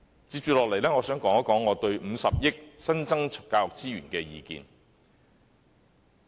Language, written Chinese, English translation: Cantonese, 接下來，我想談談我對50億元新增教育資源的意見。, Next I wish to give my views on the 5 billion new resources for education